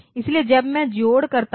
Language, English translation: Hindi, So, when I am doing addition